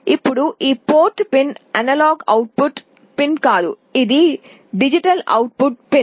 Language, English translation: Telugu, Now this port pin is not an analog output pin, it is a digital output pin